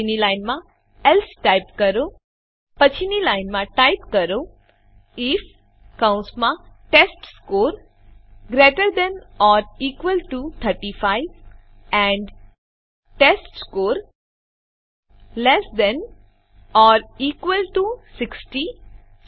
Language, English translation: Gujarati, So type here, Else, Next line if within brackets testScore greater than or equal to 60 and testScore less than or equal to 70